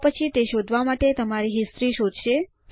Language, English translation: Gujarati, This will then search through your history to find it